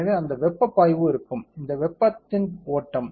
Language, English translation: Tamil, So, that heat flux will be there which is the flow of heat